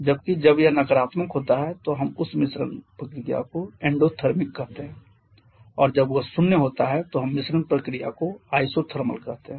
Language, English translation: Hindi, Whereas when it is negative we call that mixing process to be endothermic and when that is zero then we call the mixing process to be isothermal